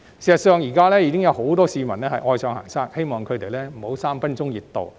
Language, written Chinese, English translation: Cantonese, 事實上，現時已有很多市民愛上行山，希望他們不要只有"三分鐘熱度"。, In fact many people are fond of going hiking now and I hope that their enthusiasm will not last for just a while